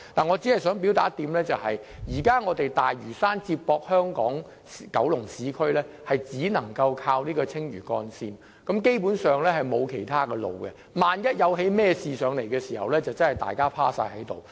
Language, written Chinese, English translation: Cantonese, 我只想表達一點，現時大嶼山接駁香港和九龍市區只能依靠青嶼幹線，基本上，並沒有其他路線選擇，萬一發生事故，大家真的不知如何是好。, I just would like to point out that the Lantau Link is the only road connecting the Lantau and the urban areas in Hong Kong Island and Kowloon . Drivers basically have no alternative routes so in case of any accidents the situation will be difficult